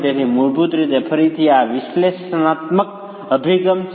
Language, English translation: Gujarati, So, basically, again, this is an analytical approach